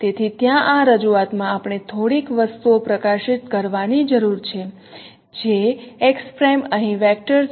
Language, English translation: Gujarati, So in this representation there we need to highlight few things that x prime here is a vector